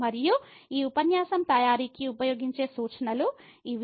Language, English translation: Telugu, And these are the references used for preparation of this lecture